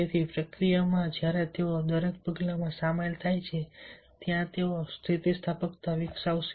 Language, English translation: Gujarati, so in the process, when they are involving n the each and every step they are, they will develop the resilience